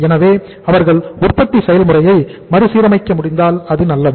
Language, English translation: Tamil, So if they are able to say readjust the manufacturing process then it is fine